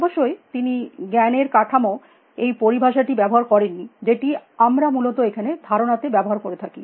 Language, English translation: Bengali, Of course, he did not use the term knowledge structure, which we used now a days concepts at we have essentially